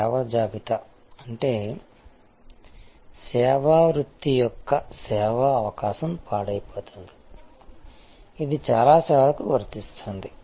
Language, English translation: Telugu, Service inventory; that means, the service opportunity of the service vocation is perishable, which is true for most services